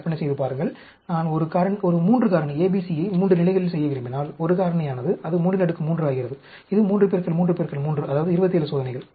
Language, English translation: Tamil, Imagine, if I want to do a 3 factor A, B, C at 3 levels, a factorial, it becomes 3 raised to the power 3, which is 3 into 3 into 3, that is 27 experiments